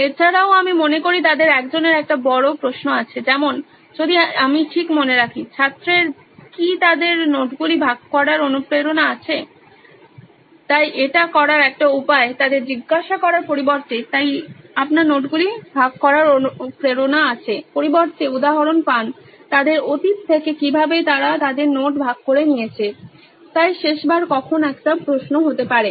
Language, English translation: Bengali, Also I think one of them has a question like if I remember right, does the student have motivation to share their notes, so one way to do this is rather than asking them, so do you have the motivation to share your notes instead get instances from their past as to how they have shared their notes, so when was the last time for example a question could be